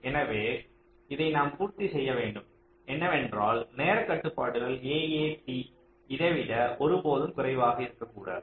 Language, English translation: Tamil, so we will have to satisfy this because for whole time constraints, a, a, t can never be less then this